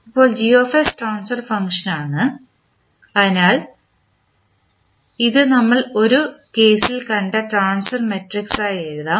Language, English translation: Malayalam, Now, Gs is the transfer function so you ca see this can be considered as a transfer matrix which we just saw in this case